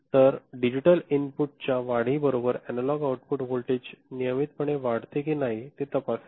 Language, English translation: Marathi, So, it checks if analog output voltage increases regularly with the increase in digital input